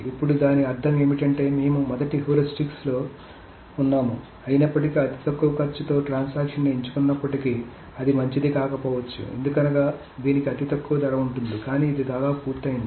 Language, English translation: Telugu, Now what does that mean is that even though we were in the first heuristic, even though the transaction with the lowest cost is being chosen, that may not be a good one because even suppose it has the lowest cost but it has almost completed